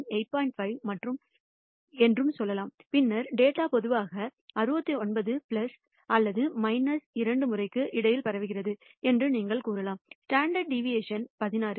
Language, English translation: Tamil, 5, then you can say that the data will spread typically between 69 plus or minus 2 times the standard deviation which is 16